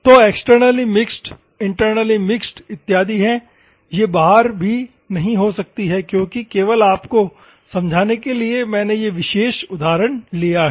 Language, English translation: Hindi, So, externally mixed, internally mixed and other things can be, this may not be external also because just to explain to you, I have taken this particular example